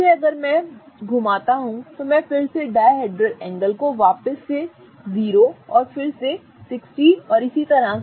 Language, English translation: Hindi, Again if I go on rotating, I'll go back to again the dihedral angle being 0 and then again 60 and so on